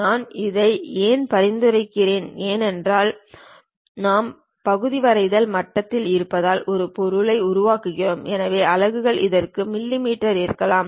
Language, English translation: Tamil, Why I am suggesting this is because we are at part drawing level we construct an object with so and so units may be mm for this